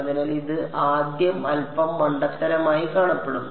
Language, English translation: Malayalam, So, it will look a little silly at first